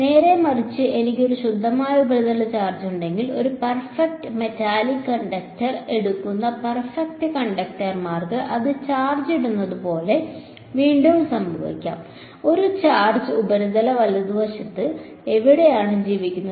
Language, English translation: Malayalam, On the other hand if I have a pure surface charge that can again happen for like perfect conductors who take a perfect metallic conductor put charge on it, where does a charge live purely on the surface right